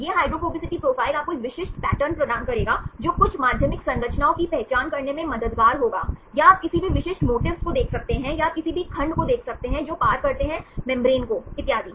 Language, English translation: Hindi, This hydrophobicity profile will provide you a specific pattern which will be helpful to identify some secondary structures, or you can see any specific motifs, or you can see any segments which traverse the membrane and so on